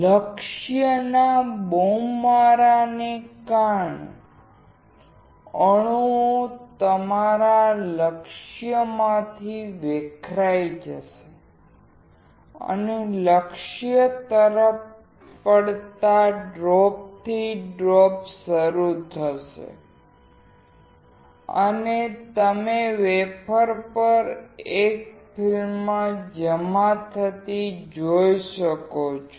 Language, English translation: Gujarati, Because of the bombardment of the target, the atoms would dislodge from your target and will start drop by drop falling towards the target and you can see a film getting deposited on the wafer